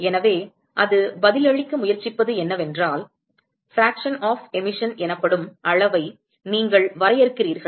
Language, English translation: Tamil, So, what it tries to answer is you define a quantity called F which is the fraction of emission ok